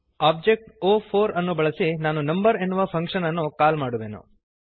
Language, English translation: Kannada, I will call the function number using the object o4